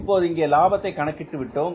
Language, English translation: Tamil, So what is the amount of the profit here